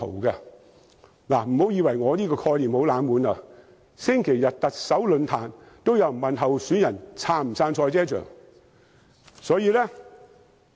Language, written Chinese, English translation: Cantonese, 大家不要以為我這概念很"冷門"，在星期日舉行的特首論壇上，也有人詢問候選人是否支持興建賽車場。, Some people may think that my proposal is far from being popular . But at the Chief Executive election forum held last Sunday the candidates were also asked if they supported the construction of a motor racing circuit in Hong Kong